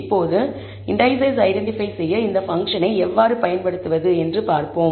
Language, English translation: Tamil, Now, let us see how to use this function to identify the indices